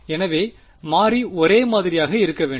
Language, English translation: Tamil, So, the variable has to be held the same